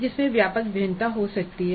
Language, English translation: Hindi, There can be again wide variation